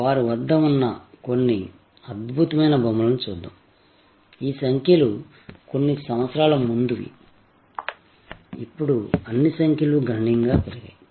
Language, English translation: Telugu, Let us look at some of the fantastic figures they have, these figures are few years older, I am sure now all the numbers have gone up significantly